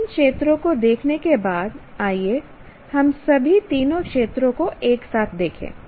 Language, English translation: Hindi, Now, having looked at the three domains, let us do a bit of, look at all the three domains together